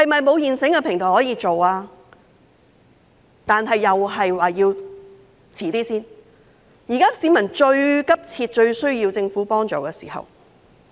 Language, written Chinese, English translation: Cantonese, 但是，政府又說要稍遲一點，現在是市民最急切、最需要政府幫助的時候。, However the Government said that it had got to be a bit later . Now is the time when members of the public need the Governments help most urgently